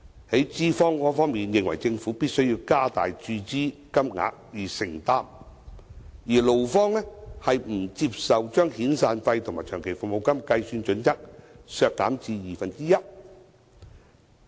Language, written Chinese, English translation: Cantonese, 在資方方面，認為政府必須加大注資金額以承擔，而勞方卻不接受把遣散費和長期服務金計算準則削減至二分之一。, The employers think that the Government must increase the amount of injection to show its commitment while the employees do not accept the criteria of reducing their entitlement to half a months wages in calculating the severance payments and long service payments